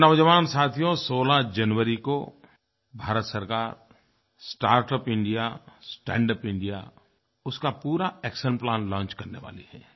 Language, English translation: Hindi, My dear young friends, the government will launch the entire action plan for "Startup India, Standup India on 16th January